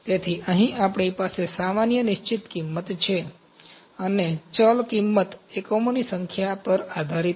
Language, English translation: Gujarati, So, it we have the general fixed cost here, and the variable cost is depending upon the number of units